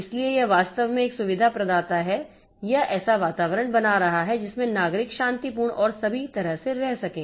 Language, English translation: Hindi, So it is actually a facility provider or creating an environment in which the citizens can live peacefully and all